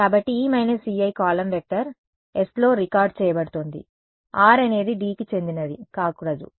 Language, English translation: Telugu, So, E minus E i is being recorded into a column vector s of course, r should not belong to d